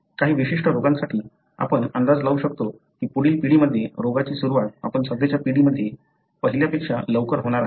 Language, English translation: Marathi, For certain diseases, you can anticipate that in the next generation the disease onset is going to be earlier than what you have seen in the current generation